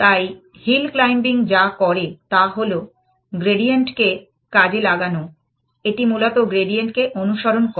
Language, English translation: Bengali, So, what hill climbing does is exploitation of the gradient, it basically follows the gradient